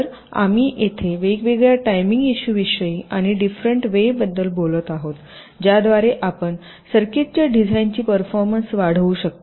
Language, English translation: Marathi, so here we shall be talking about the various timing issues and the different ways in which you can enhance the performance of a design of the circuit